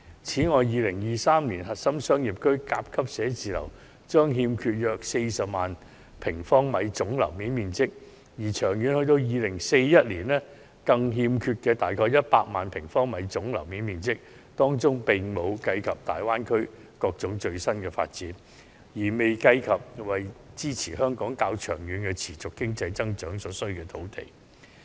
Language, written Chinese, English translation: Cantonese, 此外 ，2023 年核心商業區甲級寫字樓將欠缺約40萬平方米總樓面面積，至2041年更將欠缺約100萬平方米總樓面面積，當中並未計及大灣區等各種最新發展，亦未計及為支持香港較長期的持續經濟增長所需的土地。, Furthermore there will be a shortage of about 400 000 sq m and 1 million sq m of gross floor area for Grade A office space in core business districts by 2023 and 2041 respectively . The figures do not however take into account the new developments in the Greater Bay Area and the land necessary to sustain Hong Kongs economic growth in the long run